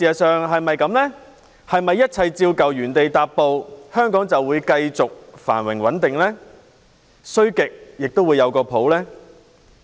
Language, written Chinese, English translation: Cantonese, 是否一切照舊，原地踏步，香港就會繼續繁榮穩定，總不會很差呢？, If everything remains unchanged and no progress is made will Hong Kong still continue to enjoy prosperity and stability and will things never get worse?